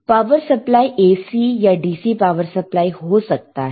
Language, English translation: Hindi, So, power supply can be AC power supply or DC power supply